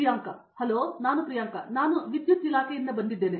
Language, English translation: Kannada, Hello I am Priyanka, I am from Electrical Department